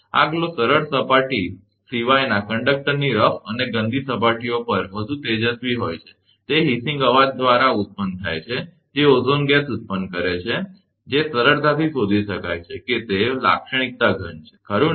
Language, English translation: Gujarati, This glow is much brighter over rough and dirty surfaces of the conductor other than smooth surface, it produces a hissing noise, it produces ozone gas, which can be readily detected by it is characteristic odour right